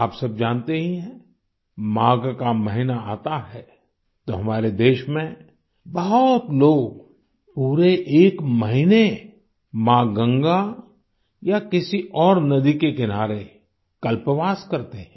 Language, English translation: Hindi, All of you are aware with the advent of the month of Magh, in our country, a lot of people perform Kalpvaas on the banks of mother Ganga or other rivers for an entire month